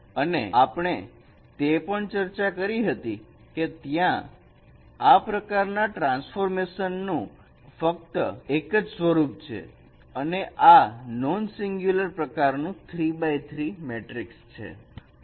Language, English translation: Gujarati, And also we have discussed that there is only one form of this kind of transformation and that is in the form of a non singular three cross three matrix